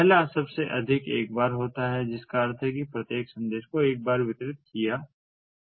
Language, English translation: Hindi, the first one is at most once, which means that each message is delivered at most once